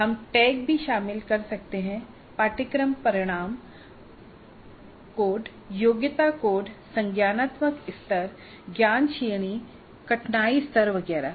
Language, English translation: Hindi, We can also include tags, course outcome code, competency code, cognitive level, knowledge category, difficulty level, etc